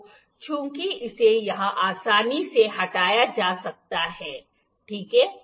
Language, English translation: Hindi, So as this can be removed easily here, ok